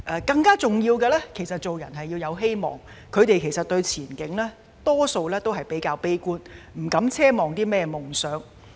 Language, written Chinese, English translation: Cantonese, 更重要的是，做人要有希望，他們大多數對前景會較為悲觀，不敢奢望有夢想。, While it is important for us to have hope most of the young people are pretty pessimistic about their future and dare not dream